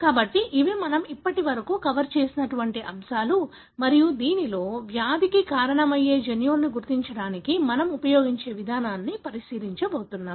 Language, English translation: Telugu, So that, as these are the topics that we covered so far and in this, we are going to look into the approach we use to identify the disease causing genes